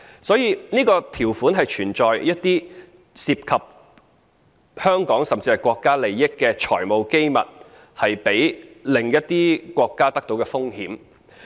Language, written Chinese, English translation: Cantonese, 所以，這項條款是存在一些涉及香港，甚至國家利益的財務機密被另一些國家取得的風險。, Hence there is the risk of financial secrets pertinent to the interests of Hong Kong and even those of the State being revealed to other countries in such a provision